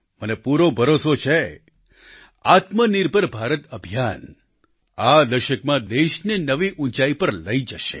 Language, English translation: Gujarati, I firmly believe that the Atmanirbhar Bharat campaign will take the country to greater heights in this decade